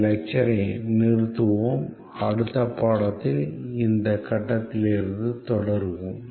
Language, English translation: Tamil, We will stop here in this lecture and we will continue from this point the next lecture